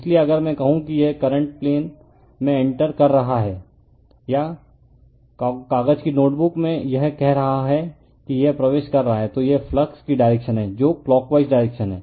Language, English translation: Hindi, So, if I say this current is entering into the plane right or in the paper your notebook say it is entering, then this is the direction of the flux right that is clockwise direction